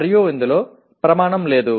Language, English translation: Telugu, And there is no criterion, okay